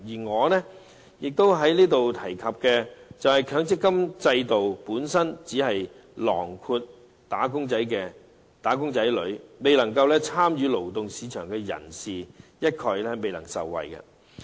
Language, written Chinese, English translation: Cantonese, 我想在這裏提出的是，強積金制度只涵蓋"打工仔女"，未有參與勞動市場的人一概未能受惠。, The point I wish to raise here is that the MPF System only covers wage earners . People not engaged in the labour market cannot be benefited at all